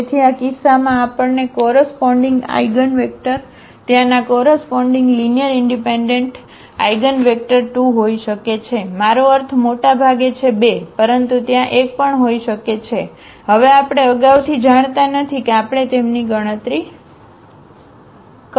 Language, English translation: Gujarati, So, in this case we have the possibility that the corresponding eigenvectors the corresponding linearly independent eigenvectors there may be 2, I mean at most 2, but there may be 1 as well, we do not know now in advance we have to compute them